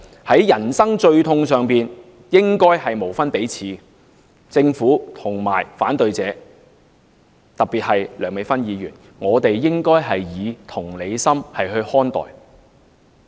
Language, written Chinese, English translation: Cantonese, 在人生最痛的關口上，異性或同性伴侶應該無分彼此；政府和反對者，特別梁美芬議員，我們應該以同理心看待。, At the most painful critical point in life heterosexual and homosexual couples should be equally treated . The Government and the opponents Dr Priscilla LEUNG in particular and all of us alike should treat them with empathy